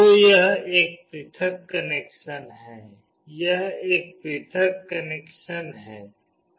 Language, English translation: Hindi, So, this is a separate connection, this is a separate connection